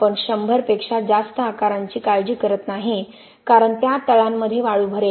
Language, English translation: Marathi, More than 100 we donÕt bother because sand will fill in those bases